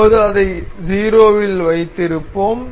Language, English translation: Tamil, So, we will keep it 0 for now